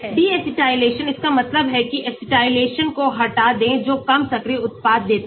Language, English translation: Hindi, Deacetylsation, that means remove acetylsation gives less active product